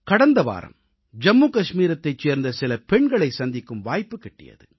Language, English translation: Tamil, Just last week, I had a chance of meeting some daughters of Jammu & Kashmir